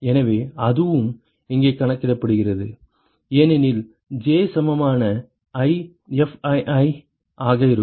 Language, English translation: Tamil, So, that is also accounted for here because J equal to i would be Fii